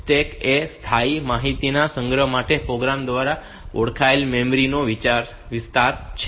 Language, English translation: Gujarati, So, stack is an area of memory identified by the program of for storage of temporary information